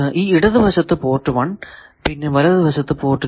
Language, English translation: Malayalam, So, on the left side you have port 1 on the right side you have port 2